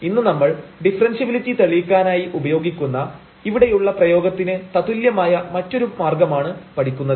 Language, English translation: Malayalam, Today we will learn another way now which is equivalent to this expression here that can be used to prove differentiability easily and that is a limit test